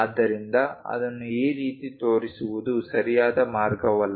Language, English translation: Kannada, So, it is not a good idea to show it in this way, this is wrong